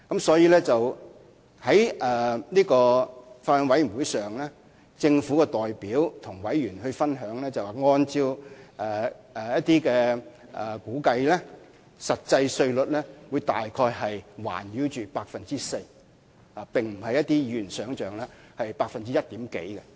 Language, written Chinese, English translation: Cantonese, 所以，在法案委員會上，政府的代表便曾告知委員，按照一些估計，實際稅率約為 4%， 並非如一些議員想象的只是略高於 1%。, Hence at the Bills Committee meeting the representative of the Government told Members that according to some kind of estimation the actual tax rate was about 4 % and was not slightly higher than 1 % as envisaged by some Members